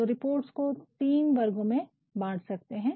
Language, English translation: Hindi, So, reports we can divide into three categories